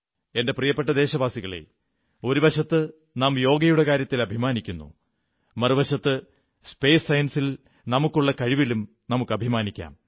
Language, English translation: Malayalam, My dear countrymen, on the one hand, we take pride in Yoga, on the other we can also take pride in our achievements in space science